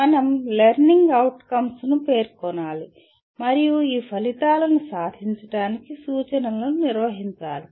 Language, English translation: Telugu, We have to state the learning outcomes and then conduct the instruction to attain these outcomes